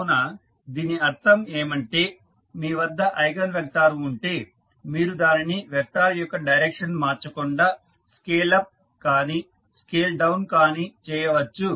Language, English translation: Telugu, So, that means that if you have the eigenvector you just scale up and down the vector without changing the direction of that vector